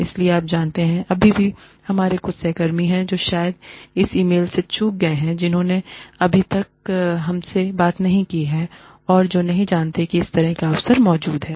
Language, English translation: Hindi, So, you know, there are still some of our colleagues, who have probably missed this e mail, who have not yet talked to us, and who do not know, that this kind of an opportunity, exists